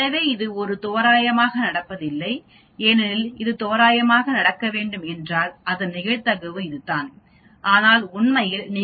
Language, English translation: Tamil, So it is not a randomly happening because if it has to happen randomly the probability of that is this but actually you observe almost 5